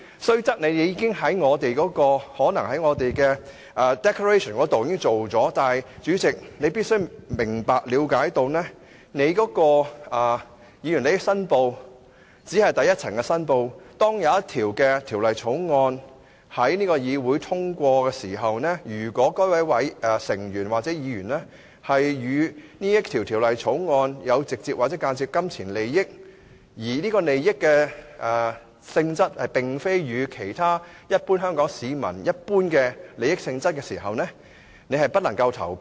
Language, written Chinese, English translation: Cantonese, 雖則你可能在立法會的 declaration 中作出了申報，但主席你必須明白、了解，議員申報利益只是作出第一層申報，當一項條例草案要在議會通過時，如果某位議員與該項條例草案有直接或間接的金錢利益，而該利益與一般香港市民的利益並不一致時，他便不能投票。, Regardless that you might have made a declaration to the Legislative Council as required but President you must understand that declaration of interest by Members is only the first tier of declaration . As far as the passage of a bill by this Council is concerned any Member who has a direct or indirect pecuniary interest in the Bill which contradicts that of the general public in Hong Kong has to abstain from voting